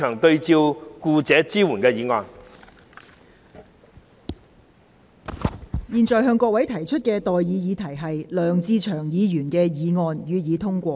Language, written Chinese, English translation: Cantonese, 我現在向各位提出的待議議題是：梁志祥議員動議的議案，予以通過。, I now propose the question to you and that is That the motion moved by Mr LEUNG Che - cheung be passed